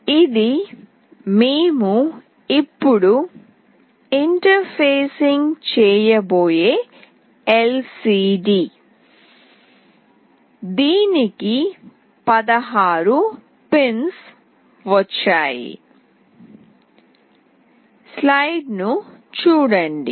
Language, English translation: Telugu, This is the LCD we will now be interfacing; it has got 16 pins